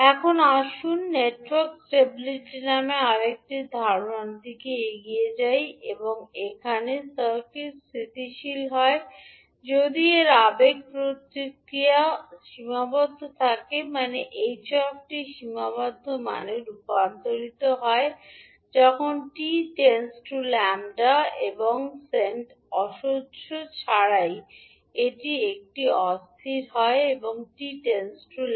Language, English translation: Bengali, Now let us move on to another concept called network stability, here the circuit is stable if its impulse response is bounded, means the h t converses to the finite value when t tends to infinity and if it is unstable if s t grows without bounds s t tends to infinity